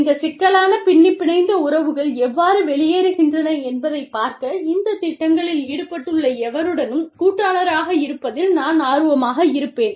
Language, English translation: Tamil, And, I would be interested in partnering, with anyone out there, who is listening to this, who is involved in these projects, to see, how these complex interwoven relationships, pan out